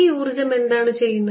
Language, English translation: Malayalam, what does this energy do